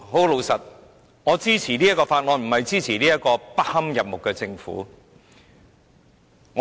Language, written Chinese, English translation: Cantonese, 老實說，我支持《條例草案》，並不表示我支持這個不堪入目的政府。, To be honest though I support the Bill it does not mean I support this detestable Government